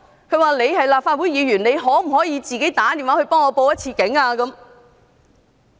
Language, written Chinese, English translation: Cantonese, 他說我是立法會議員，問我可否致電報警。, He asked me being a Legislative Council Member to call the Police